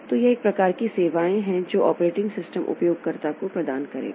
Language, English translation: Hindi, So, that is the, say one type of services that operating system will provide to the user